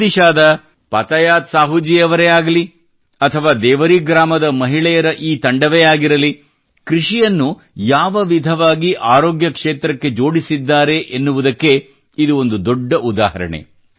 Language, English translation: Kannada, Whether it is Patayat Sahu ji of Odisha or this team of women in Deori, the way they have linked agriculture with the field of health is an example in itself